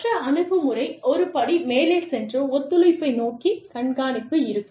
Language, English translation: Tamil, Then, the other approach could be, one step further, one step towards a collaboration, would be monitoring